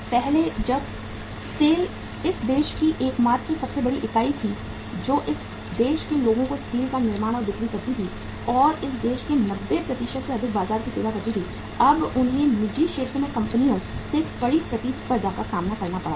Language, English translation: Hindi, Earlier when the SAIL was the only single largest entity in this country manufacturing and selling steel to the people of this country and serving the 90 more than 90% market of this country, now they had to face a stiff competition from the private sector firms in the western part of the country from the Lloyd and Essar Steel